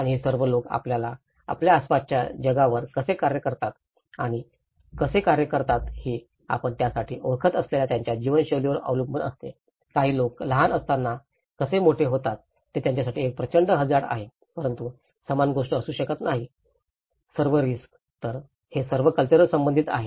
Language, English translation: Marathi, And itís all about how people perceive and act upon the world around them depends on their way of life you know for them, for some people how they are grown up a small thing is a huge risk for them but for the same thing may not be a risk at all